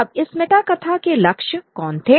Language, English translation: Hindi, Now, who were the targets of this metanarrative